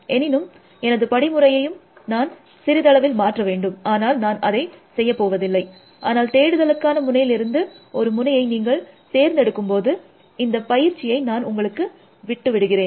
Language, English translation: Tamil, Of course, now I have to modify my algorithm little bit, which I am not doing, but I am leaving does not exercise for you to do, when you pick a node from the search node